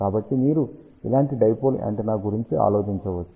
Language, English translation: Telugu, So, you can think about a dipole antenna like this